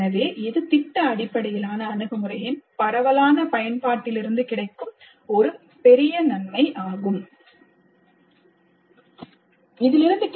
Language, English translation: Tamil, So this is a great benefit from widespread use of project based approach